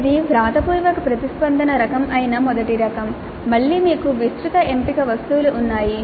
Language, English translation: Telugu, The first type where it is a written response type, again you have wide choice of items possible